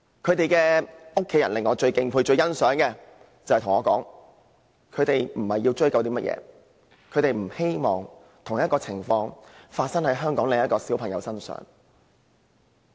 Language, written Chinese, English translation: Cantonese, 他們最令我敬佩和欣賞的地方，是他們表示並非要追究賠償，而是希望同類事件不會發生在別的小朋友身上。, I admire them with deep appreciation that they did not aim for seeking compensation but wished that similar tragedy would not happen on other children